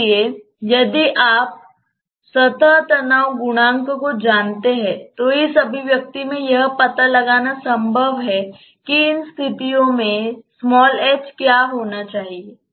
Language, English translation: Hindi, So, if you know the surface tension coefficients then it is possible to put that in this expression and find out what should be the h under these conditions